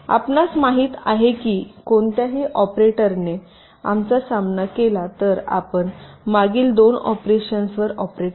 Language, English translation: Marathi, so you know that that any operator if we encounter you operated on the on the previous two operence